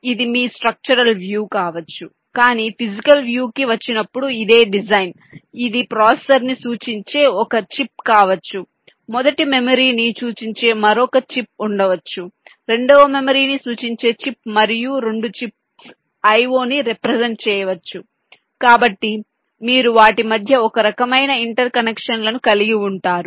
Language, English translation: Telugu, but this same design, when it comes down to physical view, it can be one chip representing the processor, there can be another chip representing the first memory, ah chip representing the second memory, and may be two chips representing the i